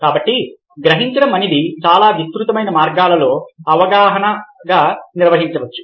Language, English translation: Telugu, so grasping that in in a very broad way can be a what is can be defined as perception